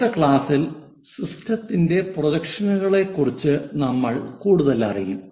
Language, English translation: Malayalam, In the next class, we will learn more about projections of the system